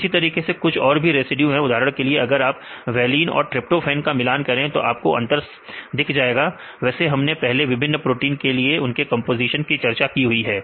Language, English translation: Hindi, Like there is some other residue other residues right for example, if it is the valine or tryptophan you can see the difference right we discussed earlier right about the composition were the different proteins